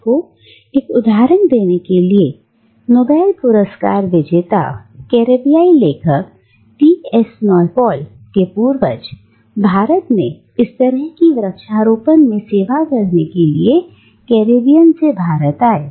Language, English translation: Hindi, And to give you an example, the ancestors of the Nobel prize winning Caribbean author V S Naipaul, they migrated from India to Caribbean in this similar fashion to serve in the plantations there